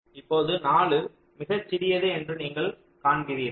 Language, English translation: Tamil, you see, four is the smallest